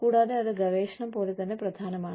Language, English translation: Malayalam, And, that is just, as important as, research